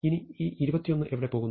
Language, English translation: Malayalam, Now where does 21 go